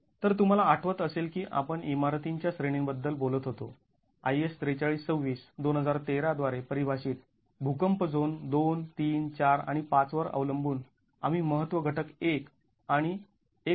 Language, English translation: Marathi, So, if you remember the categories of buildings that we were talking about defined by IS 4326 2013, depending on the seismic zone 234 and 5, we were looking at importance factors 1 and 1